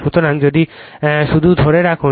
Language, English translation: Bengali, So, if you just hold on